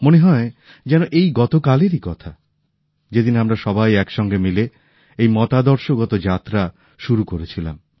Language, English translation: Bengali, It seems like just yesterday when we had embarked upon this journey of thoughts and ideas